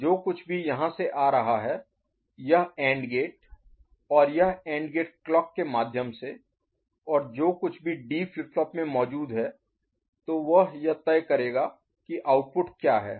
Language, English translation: Hindi, So, whatever is coming from here this AND gate and this AND gate through clocking and whatever is present in the D flip flop, so that will be deciding what is the output